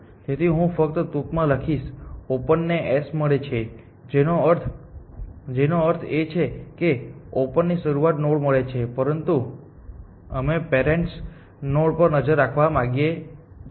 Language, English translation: Gujarati, So, I will just very briefly write open gets S which means open gets the start node, but we want to keep track of parents and so on and so for